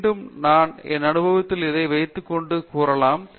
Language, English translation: Tamil, Again, I would say maybe I am just putting it in my experience